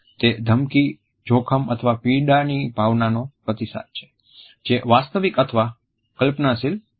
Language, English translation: Gujarati, It is a response to a sense of thread danger or pain which may be either real or an imagined one